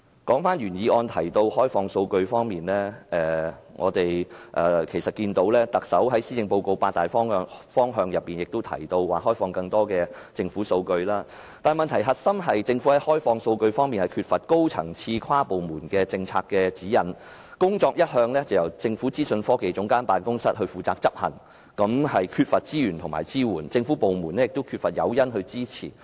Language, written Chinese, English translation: Cantonese, 說回原議案提及的開放數據，我們看到特首在施政報告所述的八大方向中，也提到開放更多政府數據，但問題的核心是，政府在開放數據方面缺乏高層次和跨部門的政策指引，工作一向由政府資訊科技總監辦公室負責執行，缺乏資源和支援，而政府部門亦缺乏誘因去給予支持。, Coming back to the open data policy mentioned in the original motion we can see that in the eight major areas mentioned in the Chief Executives Policy Address opening up more government data is also mentioned but the core of the problem is that the Government lacks high - level and cross - departmental policy guidelines in opening up data and this task has all along been undertaken by the Office of the Chief Government Information Officer OGCIO . Resources and support are lacking and government departments also lack the incentive to provide support